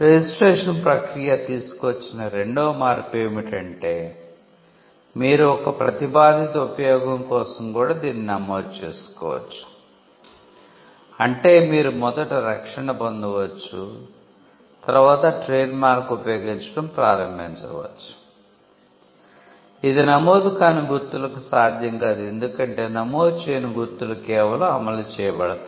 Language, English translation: Telugu, The second thing that registration brought about was, you could also register for a proposed use, which means you could get the protection first and then start using the trade mark, which was not possible for unregistered marks because, unregistered marks could only be enforced, if they were used